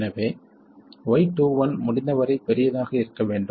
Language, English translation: Tamil, So, Y 21 must be as large as possible